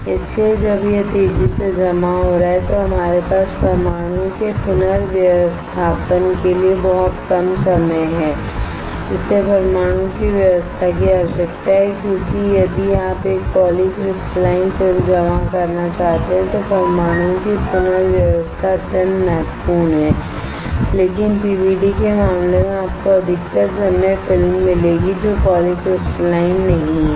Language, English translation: Hindi, So, when it is depositing rapidly we have very little time for the rearrangement of the atoms why the arrangement of atoms is required, because if you want to deposit a polycrystalline film then the rearrangement of atoms are extremely important, but in case of PVD most of the time what you find is the films is not polycrystalline